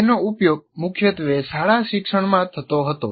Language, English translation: Gujarati, It is mainly used in school education